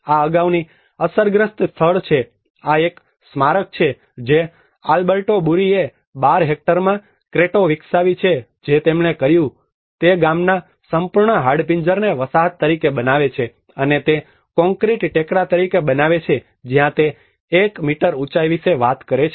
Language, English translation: Gujarati, This is a the previously affected site this is a monument which the Alberto Burri have developed The Cretto in 12 hectares what they did was he made the whole skeleton of the village the settlement as it is and he made as concrete mounds where it talks about a one meter height